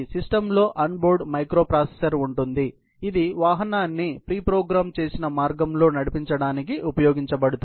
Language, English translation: Telugu, The system has an onboard microprocessor that is used to steer the vehicle on a preprogrammed path